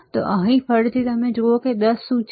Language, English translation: Gujarati, So, here again you see here what is the 10